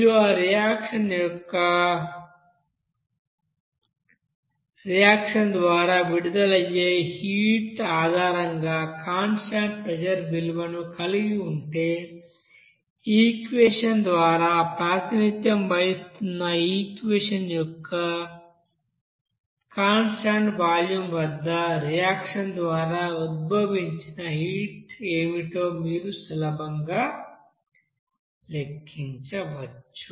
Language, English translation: Telugu, So if you are having that value of constant pressure based you know heat released by that reaction, then from the relation of this equation represented by this equation, you can easily calculate what should be the heat evolved by the reaction at constant volume there